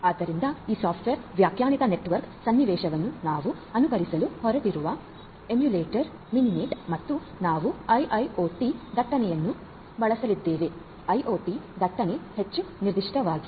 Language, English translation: Kannada, So, Mininet is the emulator of with which we are going to emulate this software defined network scenario and we are going to use the IIoT traffic; IoT traffic more specifically